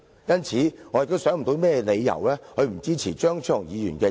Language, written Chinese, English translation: Cantonese, 因此，我想不到有甚麼理由不支持張超雄議員的議案。, Therefore I cannot think of any reason not to support Dr Fernando CHEUNGs amendment